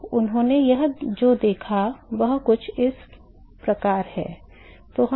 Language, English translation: Hindi, So, what he observed is something like this